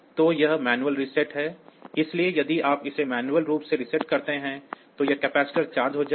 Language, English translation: Hindi, So, this is the manual reset, so if you manually reset it then this capacitor will get charged